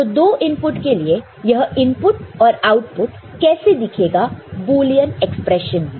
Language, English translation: Hindi, So, for 2 input, how this input and output in the Boolean representation would look like